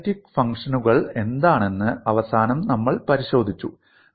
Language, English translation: Malayalam, So we need to understand, what an analytic functions